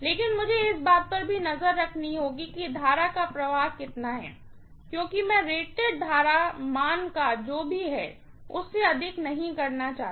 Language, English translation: Hindi, But, I have to keep an eye on how much is the current that is flowing because I do not want to exceed whatever is the rated current value